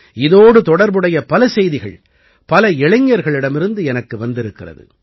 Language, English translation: Tamil, I have received messages related to this from many young people